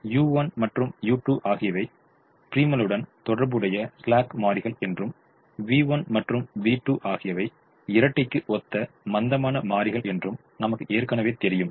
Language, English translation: Tamil, we also know that u one and u two are the slack variables corresponding to the primal and v one and v two are the slack variables corresponding to the dual